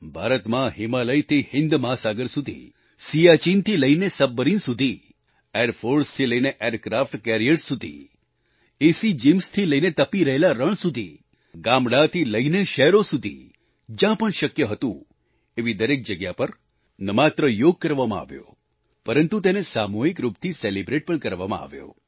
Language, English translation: Gujarati, In India, over the Himalayas, across the Indian Ocean, from the lofty heights of Siachen to the depths of a Submarine, from airforce to aircraft carriers, from airconditioned gyms to hot desert and from villages to cities wherever possible, yoga was not just practiced everywhere, but was also celebrated collectively